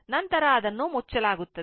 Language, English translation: Kannada, Then it is closed right